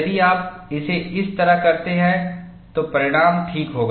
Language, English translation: Hindi, If you do it that way, result would be all right